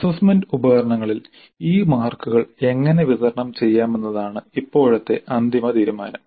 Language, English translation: Malayalam, Now the final decision is how are these marks to be distributed over the assessment instruments